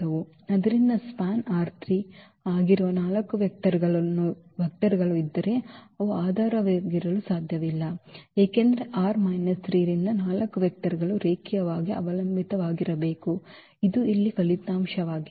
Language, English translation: Kannada, And so, if there are 4 vectors which is span r 3 they cannot be they cannot be basis because, 4 vectors from R 3 they have to be linearly dependent this is the result here